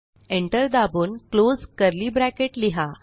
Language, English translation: Marathi, Press Enter and close curly bracket